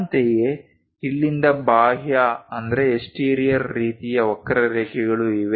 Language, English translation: Kannada, Similarly, there are exterior kind of curves from here